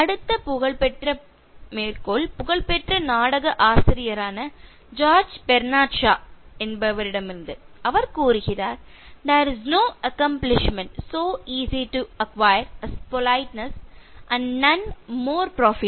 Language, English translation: Tamil, And the next famous quote is from George Bernard Shaw, famous playwright, he says: “There is no accomplishment so easy to acquire as politeness, and none more profitable